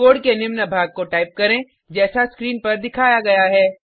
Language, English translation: Hindi, Type the following piece of code as displayed on the screen